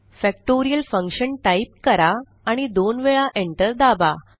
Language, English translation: Marathi, Type Factorial Function: and press enter twice